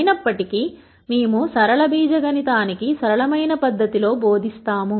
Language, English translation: Telugu, However, we do not do any hand waving we teach linear algebra in a simple fashion